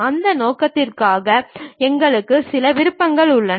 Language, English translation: Tamil, For that purpose we have some of the options